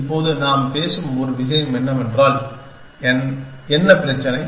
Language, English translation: Tamil, Now, one thing that we have talking about so what is the problem